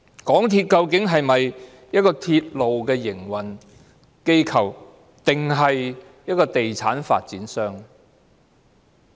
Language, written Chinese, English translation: Cantonese, 港鐵究竟是鐵路營運機構，還是地產發展商？, Exactly is MTRCL a railway operator or a property developer?